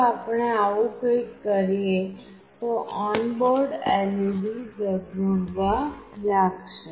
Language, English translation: Gujarati, If we do something like this the on board led will start glowing